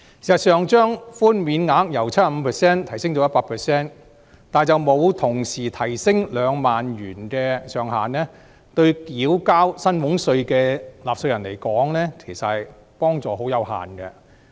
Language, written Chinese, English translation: Cantonese, 事實上，把寬免額由 75% 提升至 100%， 卻沒有同時提升2萬元的上限，對繳交薪俸稅的納稅人來說，其實幫助十分有限。, As a matter of fact raising the tax reduction from 75 % to 100 % without increasing the 20,000 ceiling will bring a rather limited benefit to taxpayers who have to pay salaries tax